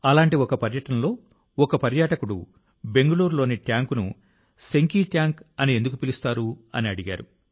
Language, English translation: Telugu, On one such trip, a tourist asked him why the tank in Bangalore is called Senki Tank